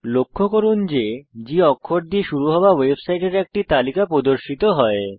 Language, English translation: Bengali, * Notice that a list of the websites that begin with G are displayed